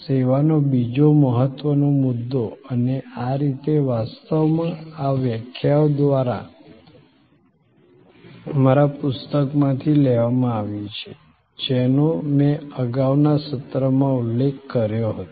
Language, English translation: Gujarati, The other important point in service and this by the way is actually, these definitions are borrowed from our book, which I had already mentioned in the earlier session